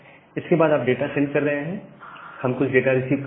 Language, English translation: Hindi, And after that you are sending the data, we are receiving certain data